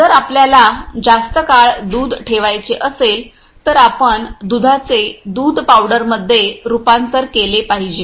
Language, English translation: Marathi, If we want to preserve the milk for a longer time, we should convert the milk into the milk powders